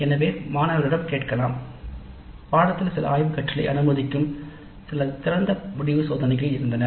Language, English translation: Tamil, So we can ask the students the course had some open ended experiments allowing some exploratory learning